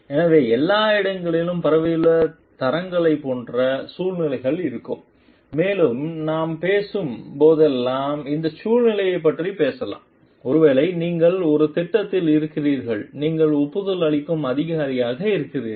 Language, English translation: Tamil, So, there will be like situations of like grades spread all over and like we can talk of these situations whenever we are talking of maybe you are into a project and you are the sanctioning authority